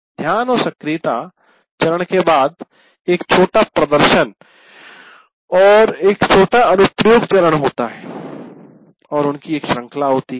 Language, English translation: Hindi, After the attention and activation, you have a small demonstration and a small application and you keep doing that a series of them